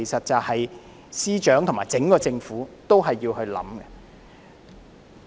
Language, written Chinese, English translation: Cantonese, 這是司長和整個政府也要思考的。, That warrants reflection by the Chief Secretary and the entire Government